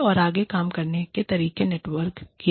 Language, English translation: Hindi, And, further networked ways of working